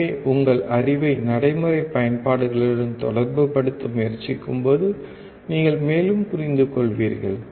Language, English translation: Tamil, So, when you try to correlate your knowledge with a practical applications, you will understand more